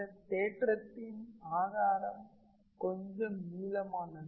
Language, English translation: Tamil, The proof of this theorem is a little bit long